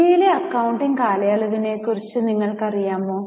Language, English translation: Malayalam, Normally in India are you aware of the accounting period in India